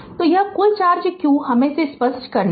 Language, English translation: Hindi, So, this total charge q just let me let me clear it right